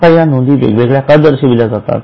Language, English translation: Marathi, Now, why these items are shown separately